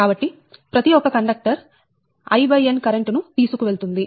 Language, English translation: Telugu, so each conductor will carry current i upon n